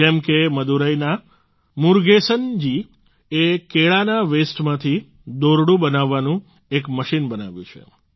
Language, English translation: Gujarati, Like, Murugesan ji from Madurai made a machine to make ropes from waste of banana